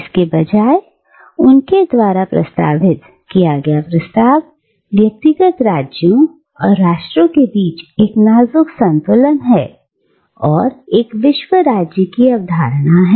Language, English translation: Hindi, But rather, what he proposes is a delicate balance between the individual states, and the nations, and the notion of a world state